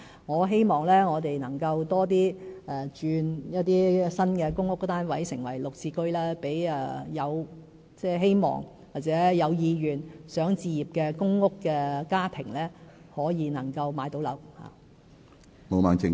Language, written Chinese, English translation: Cantonese, 我希望我們將更多新的公屋單位轉為"綠置居"，讓希望或有意願置業的公屋家庭可以買樓。, I hope that more public housing units can be converted to GSH units so that interested PRH households can purchase homes